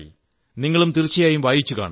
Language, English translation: Malayalam, You too must have read it